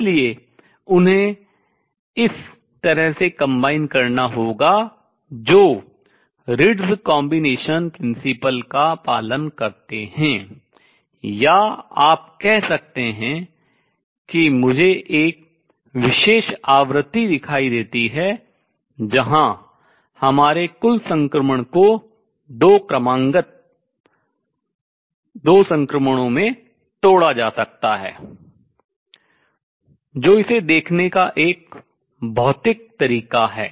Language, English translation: Hindi, So, they have to be combined in a manner that follows Ritz combination principle or you can say I see one particular frequency where our total transition can be broken into two consecutive transitions that is a physical way of visualizing it